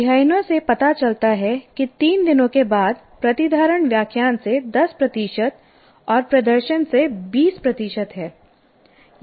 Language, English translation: Hindi, Further, study show that retention after three days is 10% from lecturing and 20% from demonstration